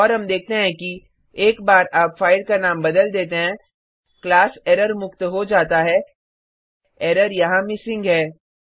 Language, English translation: Hindi, And we see that once you rename the file the class back to errorfree the error here is missing